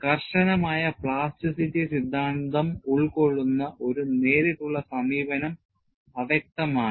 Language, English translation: Malayalam, A direct approach, incorporating rigorous plasticity theory has proven elusive